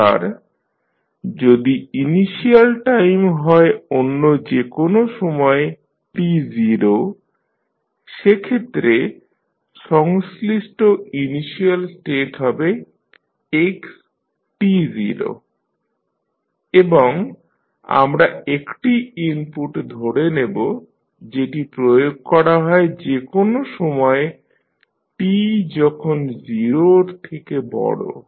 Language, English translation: Bengali, Now, if initial time is say any other time t naught the corresponding initial state will now become xt naught and we assume that there is an input that is ut which is applied at any time t greater than 0